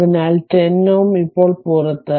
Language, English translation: Malayalam, So, 10 ohm is out now